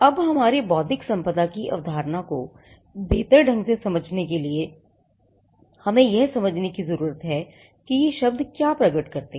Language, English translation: Hindi, Now for us to understand the concept of intellectual property better we need to understand what these words stand for